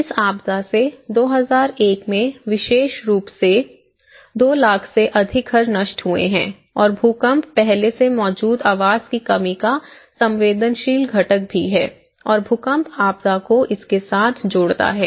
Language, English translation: Hindi, So this particular disaster 2001 and this has been destroying more than 200,000 houses and already there is also vulnerable component of existing housing shortage you know, plus the earthquake the disaster adds on to it